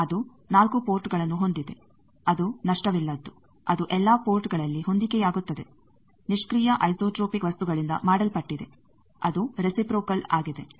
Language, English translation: Kannada, It has 4 port, it is lossless, it is matched at all ports, made of passive isotropic materials, it is reciprocal